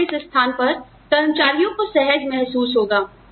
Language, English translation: Hindi, Where, at which point, would employees feel comfortable